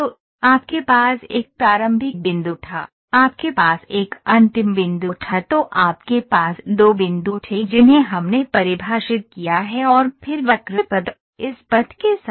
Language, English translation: Hindi, So, you had a start point, you had an end point then you had two points which we have designed which we have defined and then the curve moves along this, along this path